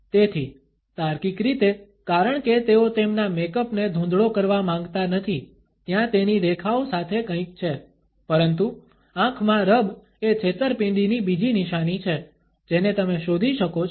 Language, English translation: Gujarati, So, logical as they do not want to smudge their makeup, there is something along the lines of that, but the eye rub is yet another sign of deceit that you can look out for